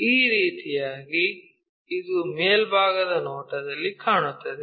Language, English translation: Kannada, In this way, it looks like in the top view